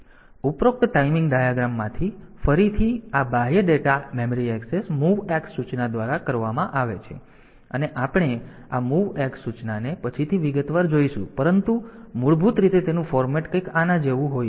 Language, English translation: Gujarati, So, this external data memory access is done by the MOVX instruction we will look into this MOVX instruction in detail later, but essentially it is format is something like this